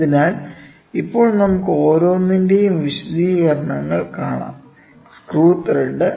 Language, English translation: Malayalam, So, now, let us see the individual explanations; Screw thread